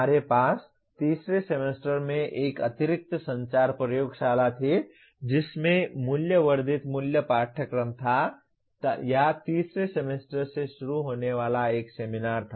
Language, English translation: Hindi, We had an extra communications lab in the third semester as a value added core course or introduce a seminar starting from the third semester